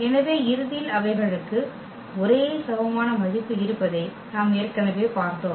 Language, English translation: Tamil, So, eventually we have seen already that they have the same eigenvalue